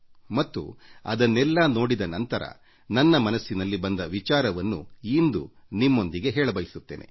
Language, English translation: Kannada, And after going through all these outpourings, some ideas came to my mind, which I want to share with you today